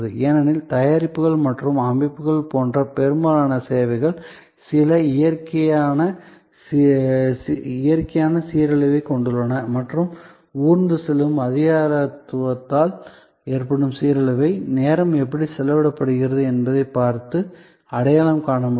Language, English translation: Tamil, Because, most services like products or like systems have some natural degeneration and that degeneration due to creeping bureaucracy can be identified by looking at, how time is spent